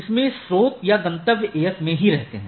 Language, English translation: Hindi, Either the source or the destination resides in the AS